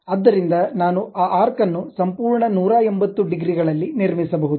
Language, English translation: Kannada, So, I can construct that arc in that complete 180 degrees